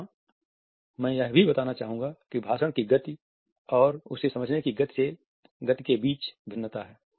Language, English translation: Hindi, Here I would also like to point out that there is a variation between the speed of speech and the speed of comprehension